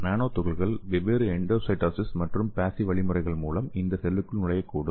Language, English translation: Tamil, So let us see some of the examples, so the nanoparticles may enter these cells through different endocytosis and passive mechanisms